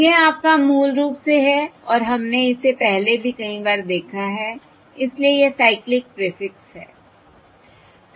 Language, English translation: Hindi, so this is the your, basically, and we have seen this also many times before so this is the cyclic prefix